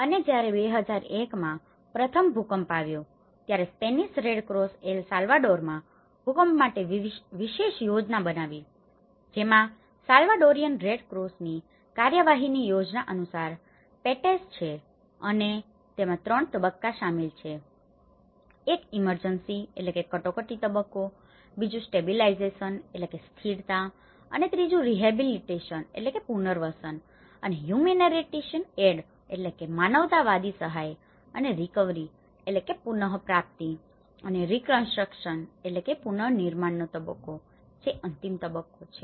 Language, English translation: Gujarati, And, when the first earthquake hit in 2001, the Spanish Red Cross has created the special plan for earthquakes in El Salvador which has PETES in accordance with the plan of action of Salvadorian Red Cross and included three phases, one is the emergency phase, the stabilization and the rehabilitation and humanitarian aid and recovery and the reconstruction phase which is the final phase